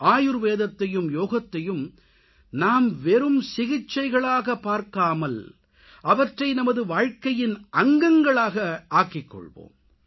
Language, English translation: Tamil, Do not look at Ayurveda and Yoga as a means of medical treatment only; instead of this we should make them a part of our life